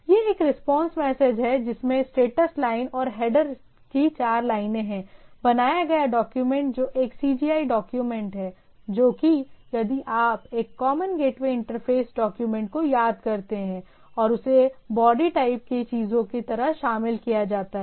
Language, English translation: Hindi, So, it is a response message contains the status line and the four lines of the header, the created document which is a CGI document that is if you remember a Common Gate Way Interface document and is included as the in the body of the thing, right